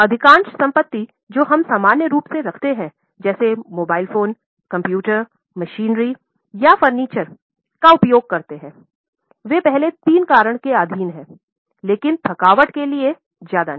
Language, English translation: Hindi, Because most of the assets which we normally use like say mobile phones, computers, machinery or furniture, they are subject to first three reasons but not much to exhaustion